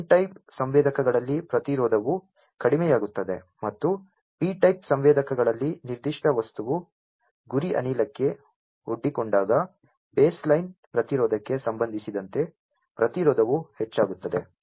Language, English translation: Kannada, In n type sensors the resistance decreases and in p type sensors the resistance increases with respect to the baseline resistance when that particular material is exposed to a target gas